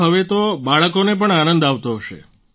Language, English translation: Gujarati, So now even the children must be happy